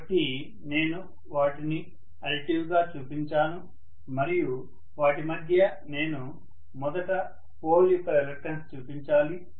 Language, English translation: Telugu, So I have shown them as additive and in between them, I should probably show first of all the reluctance of the pole itself, right